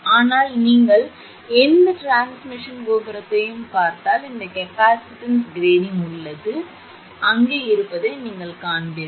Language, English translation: Tamil, If you look at the transmission tower in many places this thing also you will observe, this is capacitance grading, this thing also you will observe